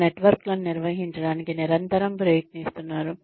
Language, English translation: Telugu, Constantly trying to maintain our networks